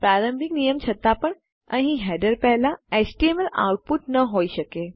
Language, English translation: Gujarati, Despite the initial rule of no html output before header up here